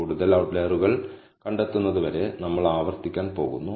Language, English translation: Malayalam, Now, we are going to iterate, till we detect no more outliers